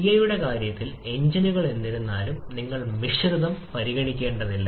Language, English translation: Malayalam, In case of CI engines however you do not need to consider the mixture